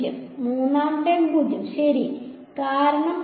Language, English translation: Malayalam, 0, third term 0 right because E z